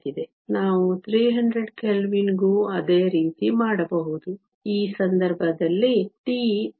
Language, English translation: Kannada, We can do the same for 300 Kelvin; in this case tau is 3